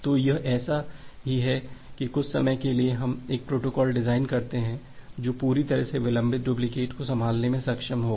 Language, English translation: Hindi, So, it is just like that sometime, we design a protocol which will completely be able to handle the delayed duplicates